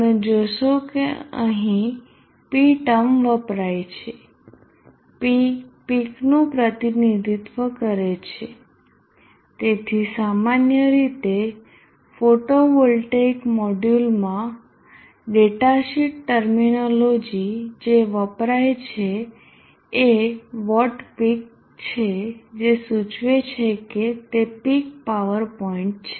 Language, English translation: Gujarati, 18 volts you will notice that the term e is used here e represents peak so generally in photovoltaic module datasheet terminology what is used is that peak implying that it is the peak power point